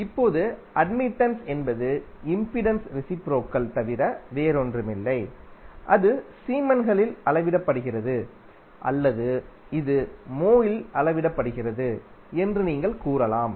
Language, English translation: Tamil, Now admittance is nothing but reciprocal of impedance and it is measured in siemens or you can say it is also measured in mho